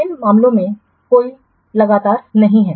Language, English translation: Hindi, There is no consistent in these cases